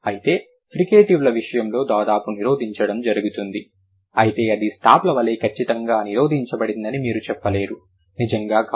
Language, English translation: Telugu, However, in case of fricatives there is almost blocking but you can't say that it's absolutely blocked like stops, not really